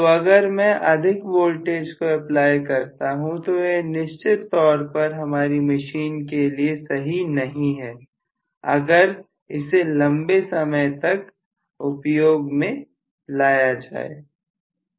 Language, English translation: Hindi, So if I try to apply a larger voltage it is definitely not good for the machine especially if I do it for prolong periods of time